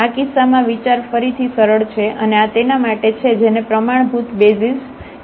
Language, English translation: Gujarati, The idea is again simple in this case and that is for these are called the standard basis